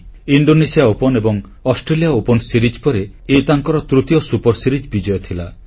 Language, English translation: Odia, After Indonesia Open and Australia Open, this win has completed the triad of the super series premiere title